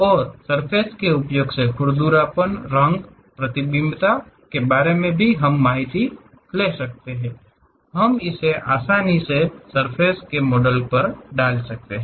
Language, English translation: Hindi, And anything about roughness, color, reflectivity; we can easily assign it on surface models